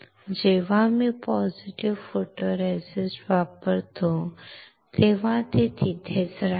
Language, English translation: Marathi, Since I use positive photoresist, I can retain the pattern